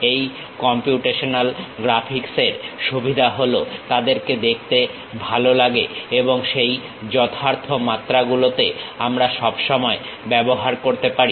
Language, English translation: Bengali, The advantage of these computational graphics is they look nice and over that precise dimensions we can always use